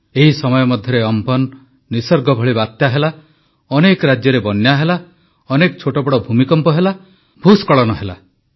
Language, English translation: Odia, Meanwhile, there were cyclone Amphan and cyclone Nisarg…many states had floods…there were many minor and major earthquakes; there were landslides